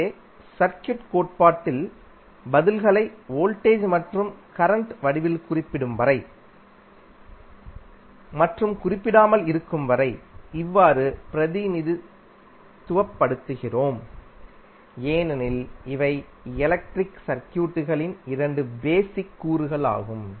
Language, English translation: Tamil, So, in the circuit theory we generally represent the answers in the form of voltage and current until and unless it is specified because these are the two basic elements in our electric circuit